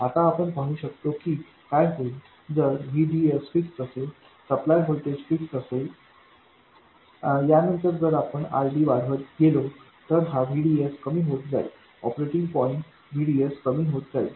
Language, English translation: Marathi, If VDD is fixed, if the supply voltage is fixed, then if you go on increasing RD, this VDS will go on reducing, the operating point VDS will go on reducing